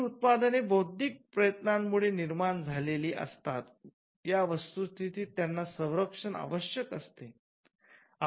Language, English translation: Marathi, So, the fact that these products resulted from an intellectual effort needed some kind of a protection